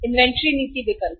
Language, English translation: Hindi, Inventory policy option